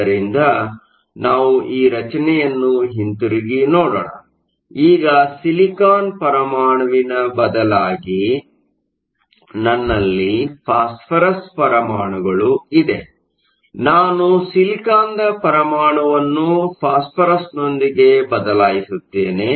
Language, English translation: Kannada, So, let us go back to this picture where now instead of a silicon atom I have a phosphorous atom, I will just erase this replace the silicon with phosphorous